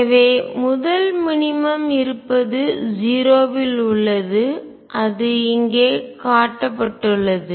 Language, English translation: Tamil, So, the first minimum exists at 0 which is shown right here